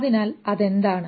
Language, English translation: Malayalam, So what is it